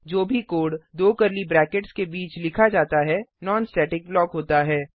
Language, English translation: Hindi, Any code written between two curly brackets is a non static block